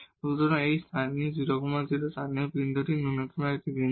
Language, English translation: Bengali, So, this 0 0 is a point of local minimum